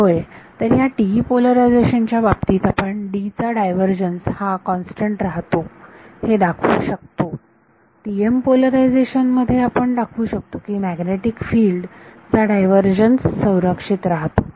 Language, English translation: Marathi, Yeah, so in this is when the case of TE polarization you could show that del divergence of D remains constant, in the TM polarization we will be able to show that divergence of magnetic field remains conserved